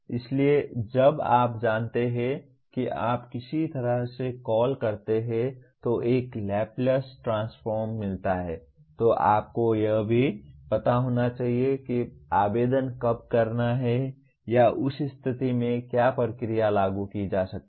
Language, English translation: Hindi, So while you know how to create what do you call find a Laplace transform, you should also know when to apply or in what situation that procedure can be applied